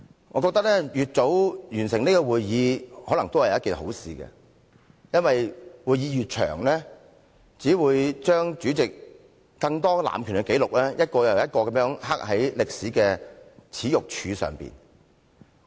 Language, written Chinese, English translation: Cantonese, 我認為，越早完成這次會議或許是好事，因為會議越長，只會將主席更多的濫權紀錄，一個又一個地刻在歷史的耻辱柱上。, In my opinion it may be a good thing if we can conclude the meeting as soon as possible because the longer the meeting the more records of the Presidents abusing whose power will go down in the history of shame